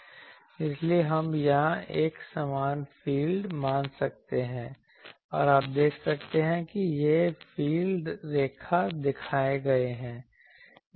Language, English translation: Hindi, So, we can assume an uniform field here, here also an uniform field and you see the this is the field lines are shown